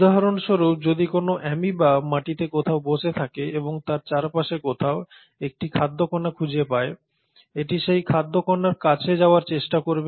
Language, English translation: Bengali, For example if there is an amoeba sitting somewhere on the soil and it finds a food particle, somewhere in the neighbourhood, it will try to approach that food particle